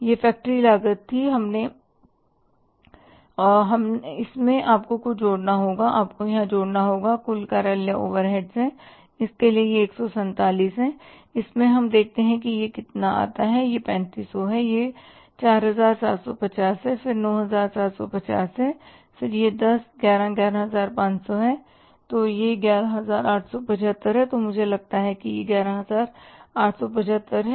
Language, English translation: Hindi, This was the factory cost and in this you have to add something like you have to have to add here that is the the total office overheads and for this this is 1 4 7, 7 in this let's see how much it works out as it is 3,000, 3,500 then it is the 4,000 750 then 9,750 then it is 10, 11, 11, 1,500s then it is the 11,800 and this amount is 75